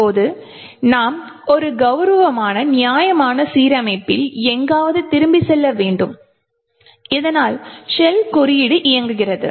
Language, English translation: Tamil, Now we need to jump back somewhere in the Nops at a decent at a reasonable alignment so that the shell code executes